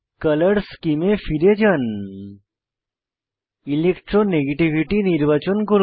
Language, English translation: Bengali, Go back to Color Scheme, select Electronegativity color scheme